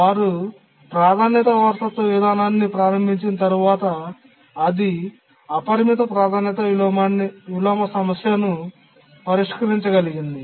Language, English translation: Telugu, So, the enabled the priority inheritance procedure and then it could solve the unbounded priority inversion problem